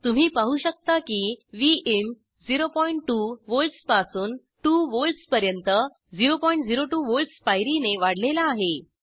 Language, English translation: Marathi, As you can see Vin is varied from 0.2 volts to 2 volts with step increment of 0.02 volts